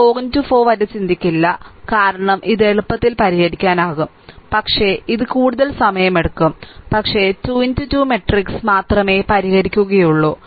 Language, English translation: Malayalam, Will not think about 4 into 4 because easily it can be solve I know, but it will be more time consuming, but will solve only upto your what you call that 3 into 3 matrix, right